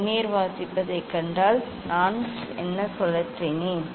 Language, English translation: Tamil, If you see the reading of the Vernier; what I have rotated